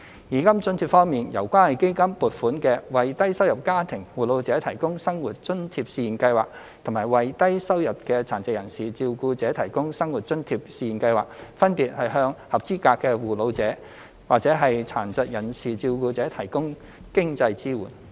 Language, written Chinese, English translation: Cantonese, 現金津貼方面，由關愛基金撥款的為低收入家庭護老者提供生活津貼試驗計劃及為低收入的殘疾人士照顧者提供生活津貼試驗計劃，分別向合資格的護老者及殘疾人士照顧者提供經濟支援。, Regarding cash allowances the Community Care Fund has funded the Pilot Scheme on Living Allowance for Carers of Elderly Persons from Low - income Families and the Pilot Scheme on Living Allowance for Low - income Carers of Persons with Disabilities to provide financial support to eligible carers of elderly persons and carers of persons with disabilities respectively